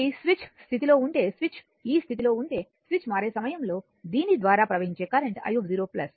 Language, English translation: Telugu, So, if switch is in position if switch is in position this one, at the just at the time of switching the current flowing through this is i 0 plus right